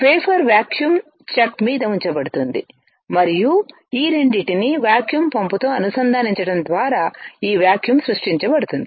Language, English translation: Telugu, The wafer is held on the vacuum chuck and this vacuum is created by connecting these two to a vacuum pump